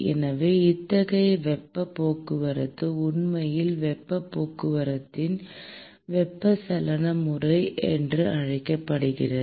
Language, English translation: Tamil, So, such kind of a heat transport is actually called as a convective mode of heat transport